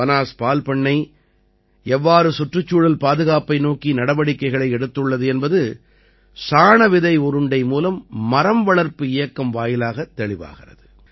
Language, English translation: Tamil, How Banas Dairy has also taken a step forward in the direction of environmental protection is evident through the Seedball tree plantation campaign